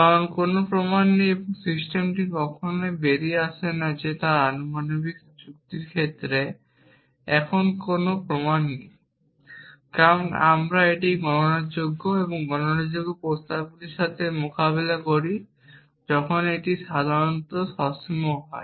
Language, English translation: Bengali, Because there is no proof and the system my never come out saying that there is no proof now in the case of proportional logic, because we have only dealing with a countably, countable set of propositions when usually it is finite